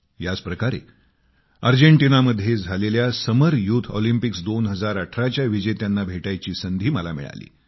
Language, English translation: Marathi, Similarly, I was blessed with a chance to meet our winners of the Summer youth Olympics 2018 held in Argentina